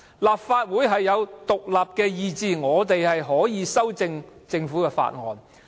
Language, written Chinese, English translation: Cantonese, 立法會有獨立意志，議員可以修訂政府的法案。, The Legislative Council has its own independent will and Members may amend government bills